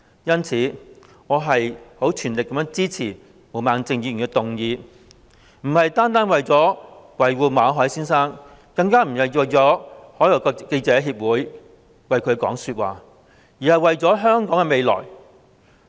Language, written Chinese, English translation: Cantonese, 因此，我全力支持毛孟靜議員的議案，並非單純為了維護馬凱先生，更不是為外國記者會說話，而是為了香港的未來。, I fully support Ms Claudia MOs motion not purely because I want to protect Mr MALLET or because I want to speak up for FCC but because of the future of Hong Kong